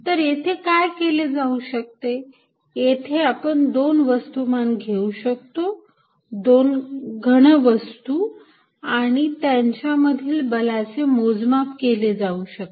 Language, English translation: Marathi, What one could do is that, one could take these masses, solid masses and measure the force between them